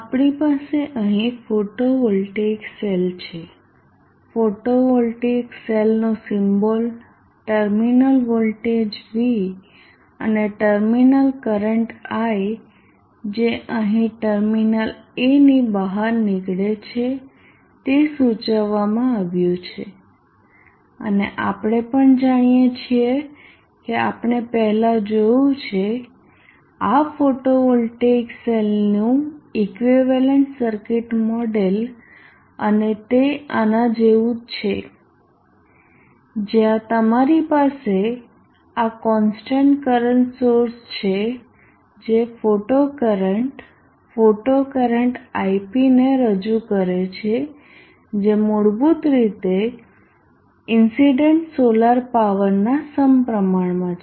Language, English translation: Gujarati, We have here a photovoltaic cell the symbol of a photovoltaic cell the terminal voltage V and the terminal current I that is supposed to flow out of the terminal a here is indicated and we also know we have seen before the equivalent circuit model of this photovoltaic cell and that is like this where you have this constant current source representing the photo current the photo current IP is basically directly proportional to the incident solar power